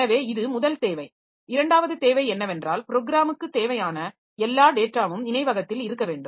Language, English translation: Tamil, Second requirement is the all of the data that is needed by the program must be in memory